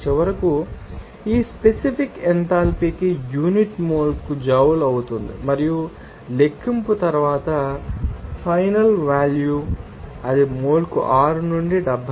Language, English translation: Telugu, And then finally the unit for this specific enthalpy becoming a joule per mole and final value after calculation it is coming 6 to 72